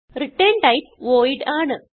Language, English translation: Malayalam, And the return type is void